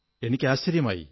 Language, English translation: Malayalam, I don't get it